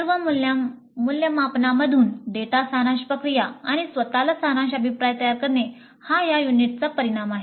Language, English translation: Marathi, Understand the process of summarization of data from all evaluations and preparation of summary feedback to self